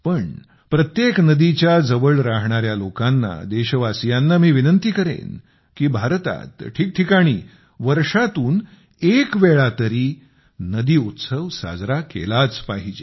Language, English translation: Marathi, But to all people living near every river; to countrymen I will urge that in India in all corners at least once in a year a river festival must be celebrated